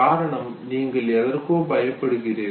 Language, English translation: Tamil, You are afraid of something